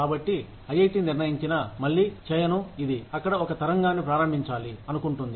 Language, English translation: Telugu, So, even if IIT decides, and again, I do not want this to start a wave out there